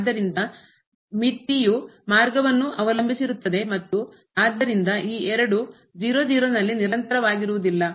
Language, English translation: Kannada, So, the limit depends on the path and hence these two are not continuous at 0 0